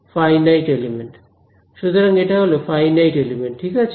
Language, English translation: Bengali, Finite element; so this is finite element ok